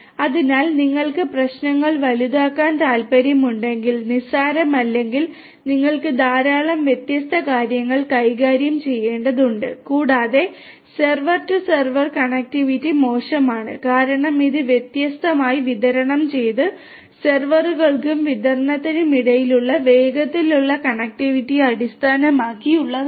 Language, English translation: Malayalam, So, if you want to scale up the you know the issues are not very trivial you have to deal with large number of different things and poor server to server connectivity can be a challenge because it heavily bases on fast connectivity between these different distributed servers and distributed D cells cubes and racks and so on um